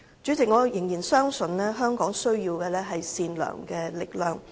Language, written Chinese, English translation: Cantonese, 主席，我仍然相信香港需要善良的力量。, President I still believe Hong Kong needs the power of goodness